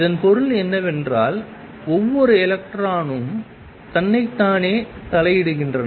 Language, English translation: Tamil, And what that means, is that each electron is interfering with itself